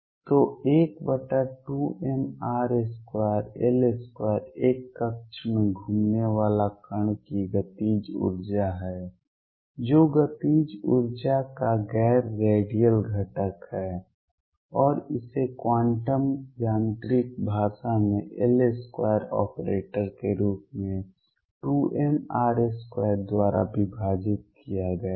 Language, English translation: Hindi, So, L square over 2 m r square is the kinetic energy of a particle going around in an orbit the non radial component of the kinetic energy and that rightly is expressed in the quantum mechanical language as L square operator divided by 2m r square